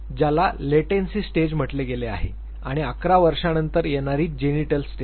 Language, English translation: Marathi, What for it calls has Latency stage and eleven onwards according to him is Genital stage